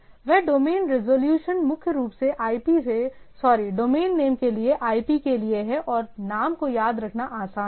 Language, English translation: Hindi, That domain resolution is primarily for IP to a sorry domain name a name to IP and it is easier to remember name then IP